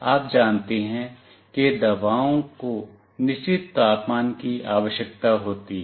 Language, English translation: Hindi, You know medicines need certain temperature